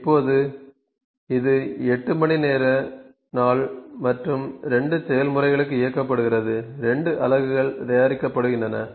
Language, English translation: Tamil, Now, it is run for the 8 hour day and 2 processes, 2 units are being manufactured